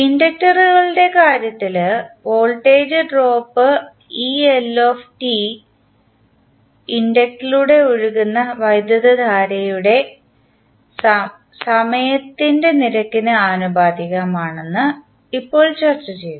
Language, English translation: Malayalam, In case of inductors, we just now discussed that the voltage drop that is eL across the inductor L is proportional to time rate of change of current flowing through the inductor